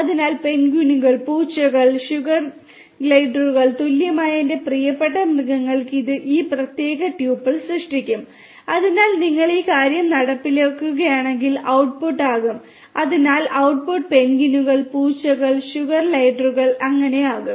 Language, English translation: Malayalam, So, my favourite animals equal to penguins, cats, sugar gliders this will create this particular tuple and so the output will be is so if you execute this thing so output is going to be penguins, cats, sugar gliders